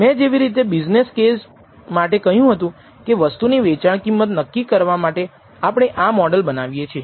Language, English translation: Gujarati, Like I said in the business case we are developing the model in order to determine set the price selling price of the thing